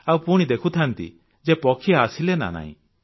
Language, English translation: Odia, And also watch if the birds came or not